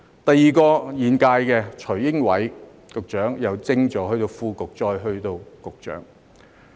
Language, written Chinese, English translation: Cantonese, 第二位是現屆的徐英偉局長，由政治助理升至副局長，再到局長。, The second is Secretary Caspar TSUI Ying - wai of the current term who was promoted from Political Assistant to Deputy Director of Bureau and then to Director of Bureau